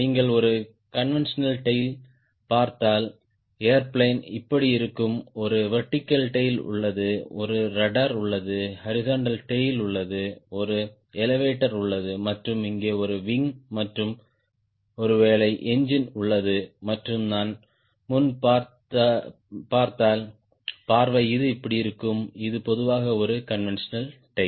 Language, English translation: Tamil, if you see, for a conventional tail, the airplane will be like this: there is a vertical tail, there is a radar, there is horizontal tail, there is an elevator and there is a wing and may be engine here and if i see the long preview, it will be look like this